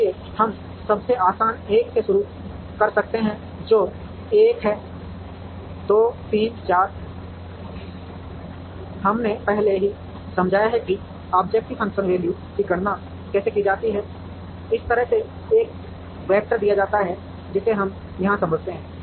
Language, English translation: Hindi, So, we could start with the easiest 1 which is 1 2 3 4, we have already explained how to calculate the objective function value, given a vector like this is which is what we explain here